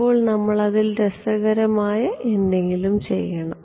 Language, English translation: Malayalam, Now, we have to do something interesting with it yeah